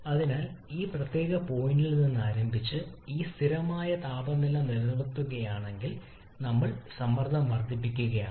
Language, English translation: Malayalam, So if we start from say this particular point and maintaining this constant temperature we are increasing the pressure